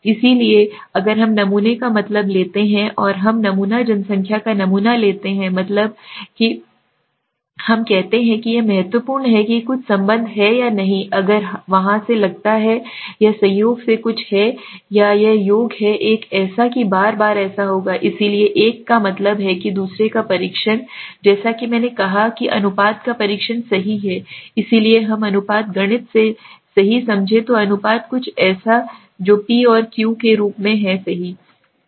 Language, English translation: Hindi, So that is why if we take the mean of the sample and we take the sample population sample mean and then we say is it significant some relationship is there or nor or if the suppose there is something is it by chance or it is the sum, it is it would happen again and again as good as that, so one is test of means the other is as I said test of proportions right, so proportions as we understand from mathematics right, so proportions are something which is in a form of p and q right